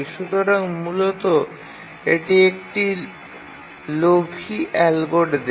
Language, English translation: Bengali, So basically a greedy algorithm